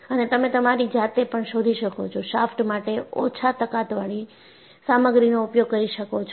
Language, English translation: Gujarati, And also you find, you use the low strength material for shaft